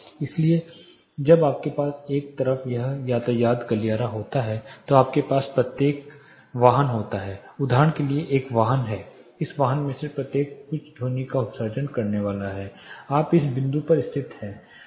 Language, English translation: Hindi, So, when you have a traffic corridor on one side you have vehicles each one is a vehicle for example, each of this vehicle is going to emit some sound you are located at this point